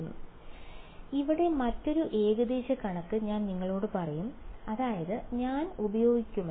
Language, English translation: Malayalam, So, here is another approximation that I will tell you I mean that I will use